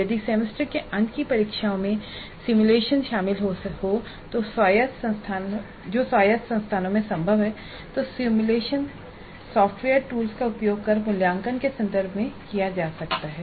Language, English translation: Hindi, If simulations are involved in the semester and examination which is possible in autonomous institutions, simulation software tools need to be used and they can be incorporated into the assessment context